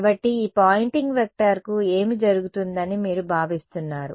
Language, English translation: Telugu, So, what do you expect will happen to this Poynting vector